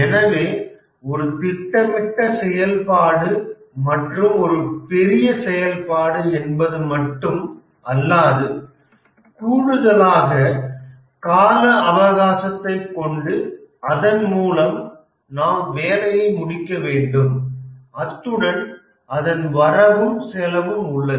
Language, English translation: Tamil, So, in addition to a planned activity and a large activity, we also have few other things that there is a time period by which we need to complete the work and also there is a budget associated with it